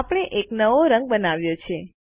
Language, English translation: Gujarati, We have created a new color